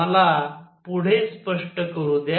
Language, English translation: Marathi, Let me explain further